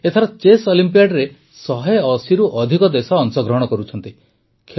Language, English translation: Odia, This time, more than 180 countries are participating in the Chess Olympiad